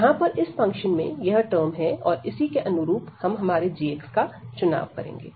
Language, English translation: Hindi, So, this is the term here in this function, so accordingly we will choose now again our g x